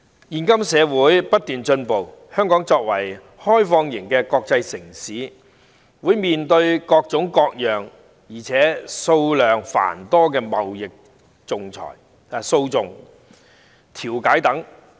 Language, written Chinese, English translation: Cantonese, 現今社會不斷進步，香港作為開放型的國際城市，會面對各種各樣且數量繁多的貿易訴訟及調解。, The society is progressing day by day . Hong Kong as an open international city certainly faces a large number of trade litigations and arbitrations of various kinds